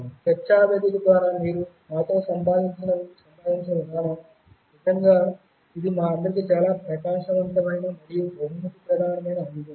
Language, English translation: Telugu, The way you interacted with us through the discussion forum, it was really a very rewarding and enlightening experience for all of us